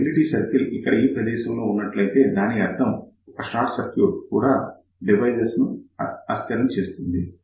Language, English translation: Telugu, So, what will happen if the stability circle is somewhere here that means, that even a short circuit will make this device unstable